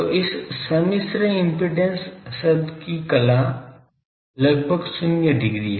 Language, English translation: Hindi, So, phase of this complex impedance term that is almost 0 degree